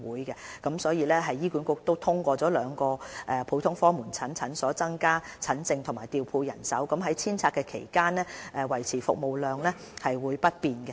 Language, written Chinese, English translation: Cantonese, 醫管局已通過在兩個普通科門診診所增加診症室和調配人手，於遷拆期間維持服務量不變。, HA strives to maintain the public health care service capacity in the district during the demolition of the health centre through increasing the number of consultation rooms in two GOPCs and manpower deployment